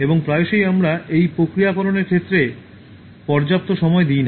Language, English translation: Bengali, And often we don’t give it enough time in terms of processing